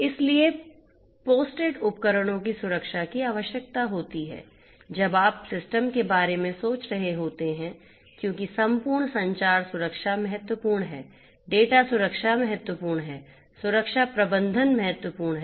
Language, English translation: Hindi, So, security of the deployed devices is required when you are thinking about the system as a whole communication security is important data security is important security management is important right